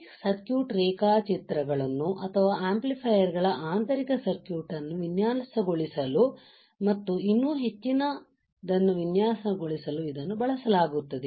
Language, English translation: Kannada, It is used to design this circuit diagrams or the internal circuit of the amplifiers and lot more